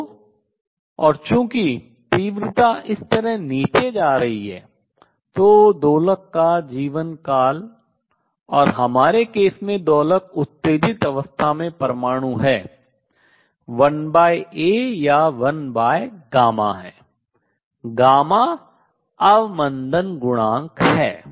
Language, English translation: Hindi, So, and since the intensity is going down like this, so lifetime of the oscillator and in the in our case the oscillator is the atom in the excited state is 1 over A or 1 over gamma the gamma is damping coefficient